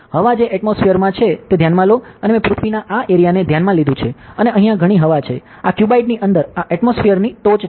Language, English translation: Gujarati, So, consider the atmosphere it has air and I have considered this area of earth and this much air is over here, inside this cuboid ok, this is the top of atmosphere